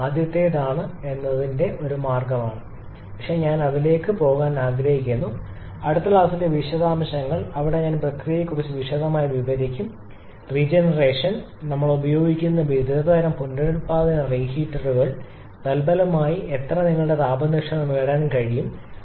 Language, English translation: Malayalam, Because there we shall be using certain means that I shall be explaining in the next class this is one means that is the first one but I would like to go into the detail in the next class only where I shall be explaining in detail about the process of regeneration different kinds of regenerative heaters that we use and consequently how much gain we can gain your thermal efficiency